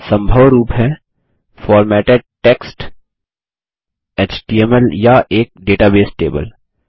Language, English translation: Hindi, Possible formats are Formatted text, HTML or a Data Source Table